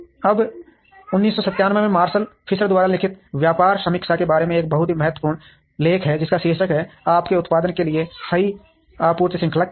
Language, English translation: Hindi, Now, there is a very important and article from how about business review written by Marshall Fisher in 1997, which is titled "what is the right supply chain for your product"